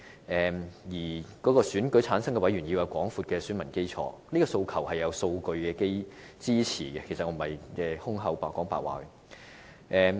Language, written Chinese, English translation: Cantonese, 至於選舉產生委員要有廣闊的選民基礎這個訴求，是得到數據支持，我並非憑空說的。, As to the request for a broad electorate to return elected members it is not my invention but an idea supported by statistics